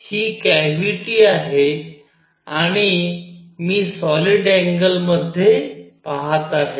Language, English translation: Marathi, This is the cavity and I am looking into the solid angle